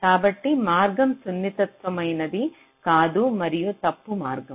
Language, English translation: Telugu, so the path is not sensitizable and is false